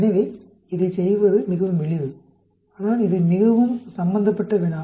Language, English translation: Tamil, So it is very simple to do, but it is quite an involved problem